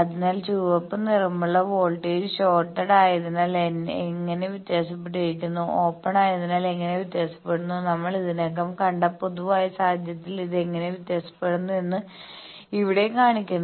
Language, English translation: Malayalam, So, this is shown here that how the voltage the red colored one voltage varies for a shorted one how it varies for open one, how it varies in the general case this we have already seen